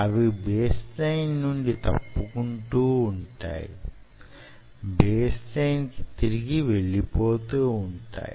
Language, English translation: Telugu, so they will deflect from the baseline and they will go back to the baseline